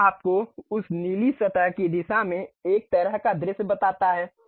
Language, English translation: Hindi, This tells you a kind of view in the direction of that blue surface